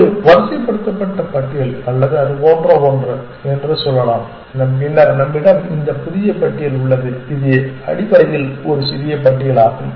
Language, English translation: Tamil, Let us say it is sorted list or something like that and then we have this new which is a smaller list essentially